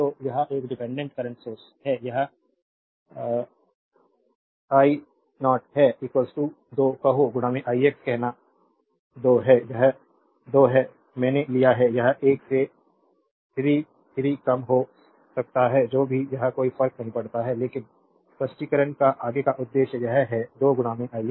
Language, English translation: Hindi, So, this is a dependent current source this is i 0 is equal to say 2 into i x say 2 is it is 2 i have taken it may be 3 4 less than 1 whatever it is it does not matter right, but further purpose of explanation say it is 2 into i x